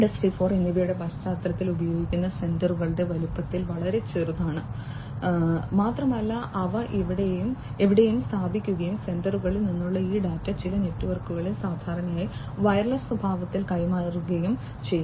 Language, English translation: Malayalam, 0 in general sensors that are used are very small in size, and they can be placed anywhere and these data from the sensors can be transferred over some networks, typically, wireless in nature